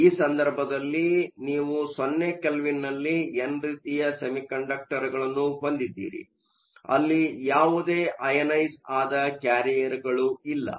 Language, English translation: Kannada, So, in this case you have n type semiconductors at 0 Kelvin, there are no ionized carriers